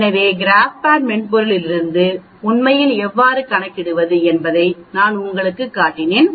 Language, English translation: Tamil, So I showed you how to calculate from the GraphPad software also actually